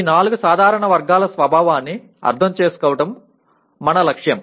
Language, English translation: Telugu, That is the understanding the nature of these four general categories is our objective